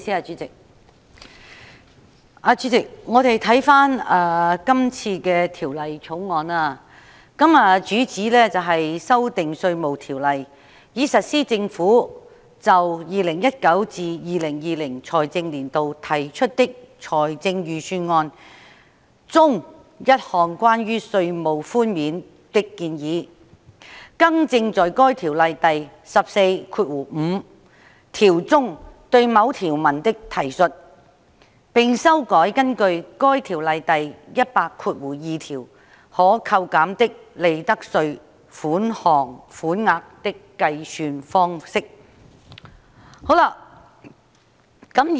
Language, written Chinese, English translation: Cantonese, 主席，這項《2019年稅務條例草案》的主旨是修訂《稅務條例》，以實施政府就 2019-2020 財政年度提出的財政預算案中一項關於稅務寬免的建議，更正在該條例第145條中對某條文的提述，並修改根據該條例第1002條可扣減的利得稅款額的計算方式。, Chairman the objective of this Inland Revenue Amendment Bill 2019 the Bill is to amend the Inland Revenue Ordinance to give effect to a proposal concerning tax concessions in the Budget introduced by the Government for the 2019 - 2020 financial year; correct a cross - reference in section 145 of the Ordinance and revise the way of computing the amount of profits tax that may be reduced under section 1002 of the Ordinance